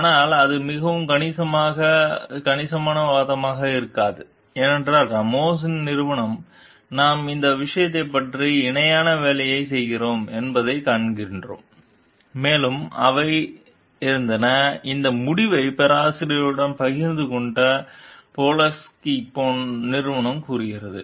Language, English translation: Tamil, But that will not be a very substantial argument because what we find that Ramos s company we are doing parallel work regarding this thing and they were, like shared this result with the professor say Polinski s company